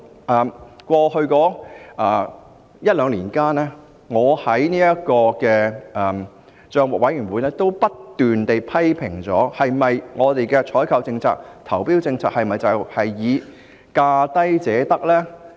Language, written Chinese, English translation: Cantonese, 在過往一兩年，我也在政府帳目委員會不斷提出批評，究竟我們的採購政策和投標政策是否只以價低者得作為原則呢？, Over the past year or two I have repeatedly made criticisms in the Public Accounts Committee and questioned whether our policies on procurement and tendering should be premised only on the principle that the lowest bid wins